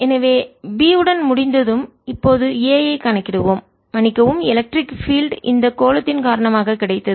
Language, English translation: Tamil, so once we are done with b, we will now calculate a, the sorry ah, the electric field due to this sphere